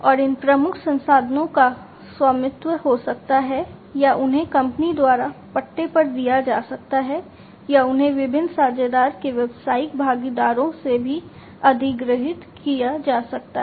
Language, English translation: Hindi, And these key resources can be owned or they can be leased by the company or they can they can be even acquired from different partner’s business partners